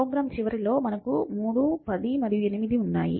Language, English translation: Telugu, So, at the end of the program we have 3, 10 and 8